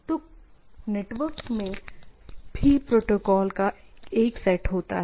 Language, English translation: Hindi, So, network also have a set of protocols